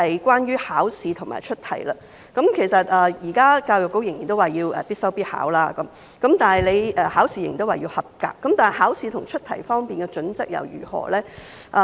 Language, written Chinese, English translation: Cantonese, 關於考試和出題，教育局現時仍然說通識科要必修必考，考試也依然要及格，但考試和出題方面的準則如何？, Regarding examination and question setting EDB is still saying that the LS subject should be compulsory for public assessment and a pass in examination is still required but what are the criteria for examination and question setting?